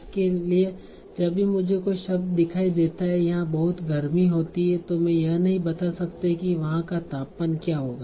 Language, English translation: Hindi, So whenever I see a word like it's very warm here, I cannot tell for sure what would be the temperature there